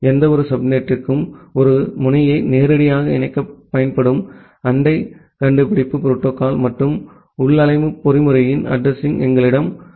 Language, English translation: Tamil, We have the neighbor discovery protocol and the address of a configuration mechanism that can be used to directly connect a node to any subnet